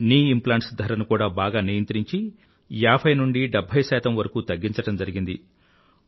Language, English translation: Telugu, Knee implants cost has also been regulated and reduced by 50% to 70%